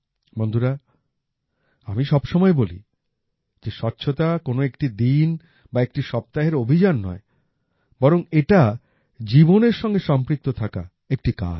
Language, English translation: Bengali, Friends, I always say that cleanliness is not a campaign for a day or a week but it is an endeavor to be implemented for life